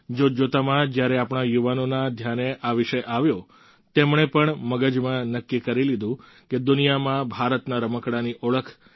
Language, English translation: Gujarati, Within no time, when this caught the attention of our youth, they too resolutely decided to work towards positioning Indian toys in the world with a distinct identity